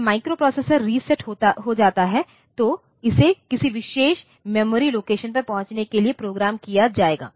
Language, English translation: Hindi, So, as I said that the processor, the microprocessor when it is reset, it will be programmed to access a particular memory location